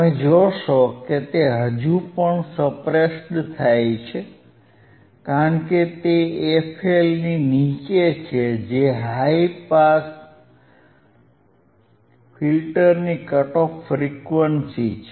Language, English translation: Gujarati, wWe see that still it is still suppressed because it is below f L, the frequency cut off frequency of the high pass filter